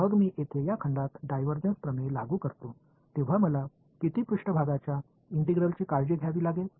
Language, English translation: Marathi, Then when I apply the divergence theorem to this volume over here, how many surface integrals will I have to take care of